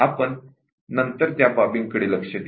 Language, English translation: Marathi, So, we will look at those aspects later